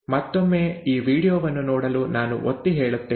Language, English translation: Kannada, Again let me emphasize the watching of this video